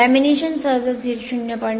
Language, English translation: Marathi, The laminations are usually 0